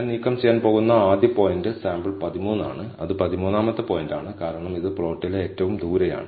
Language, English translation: Malayalam, The first point that I am going to remove is sample 13 that is the 13th point, because it is the farthest in the plot